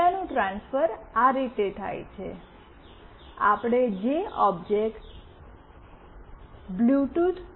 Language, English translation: Gujarati, The transfer of data takes place in this way, the object that we have created bluetooth